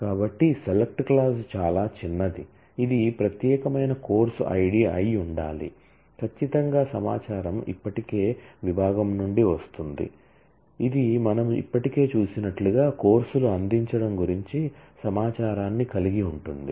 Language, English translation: Telugu, So, the select clause is trivial it has to be the distinct course id is certainly the information will come from section which has information about offering of courses as we have also seen already